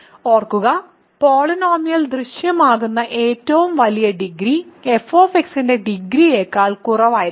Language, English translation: Malayalam, Remember, degree is the largest degree that appears in the polynomial must be strictly less than degree of f